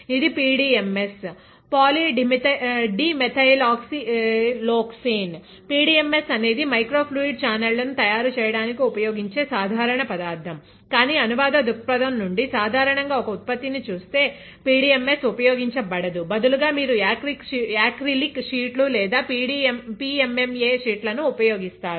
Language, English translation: Telugu, This is PDMS polydimethylsiloxane; PDMS is the usual material that is used to make microfluidic channels but from a translational point of view, if you look at a product usually PDMS is not used, instead you use acrylic sheets or PMMA sheets; that is here next to me, these are acrylic sheets